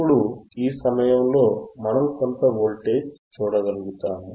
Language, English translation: Telugu, Now, at this point we should be able to see some voltage